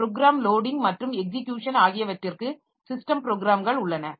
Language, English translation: Tamil, We have got program loading and for program loading and execution there are system programs